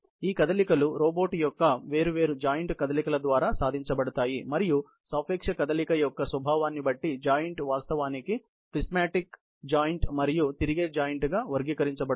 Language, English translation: Telugu, These motions are accomplished by movements of individual joints of the robot arm and depending on the nature of the relative motion; the joints are actually classified as prismatic joints and revolute joints